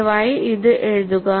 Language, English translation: Malayalam, Please, write this down